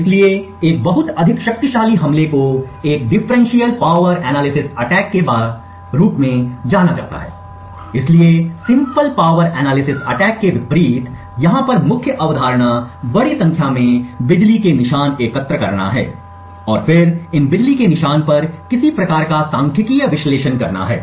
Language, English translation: Hindi, So, a much more powerful attack is known as a Differential Power Analysis attack, so the main concept over here unlike the simple power analysis attack is to collect a large number of power traces and then perform some kind of statistical analysis on these power traces from which we deduce the key